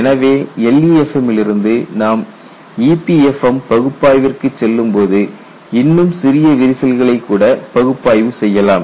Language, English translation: Tamil, So, from LEFM if you go to EPFM analysis, you could analyze still smaller cracks, but it does not start from 0